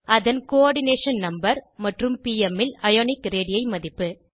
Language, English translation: Tamil, * Its Coordination number and * Ionic radii value in pm